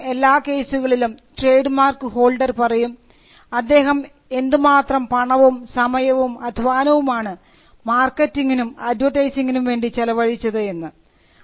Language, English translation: Malayalam, You will find that the trademark holder will, in most cases mention the amount of time money and resources, the trademark holder has spent in marketing and advertising